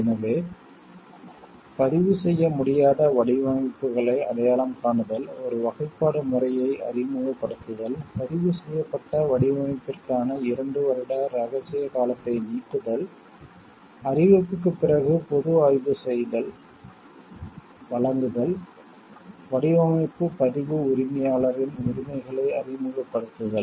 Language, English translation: Tamil, So, identification of non registerable designs, introducing a classification system, elimination of secrecy period of two years for a registered design, provision of public inspection after notification, introduction of rights of registered proprietor of design